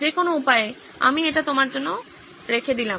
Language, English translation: Bengali, Any which way, I leave it open to you guys